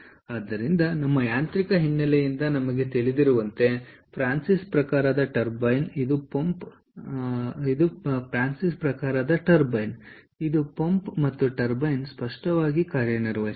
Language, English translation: Kannada, ok, so as as we know from our mechanical ah background, francis type of turbine, it can work both as a pump and a turbine